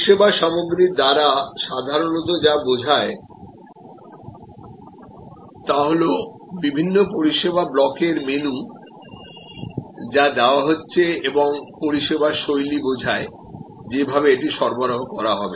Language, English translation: Bengali, By service content, what we normally mean is the menu of different service blocks, that are being offered and service style is how it will be delivered